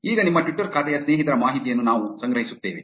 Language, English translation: Kannada, Now, we will collect the friends of friends' information of your twitter account